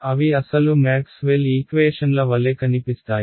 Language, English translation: Telugu, They look like original Maxwell’s equations in which case